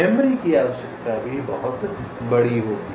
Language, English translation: Hindi, ok, memory requirement will be huge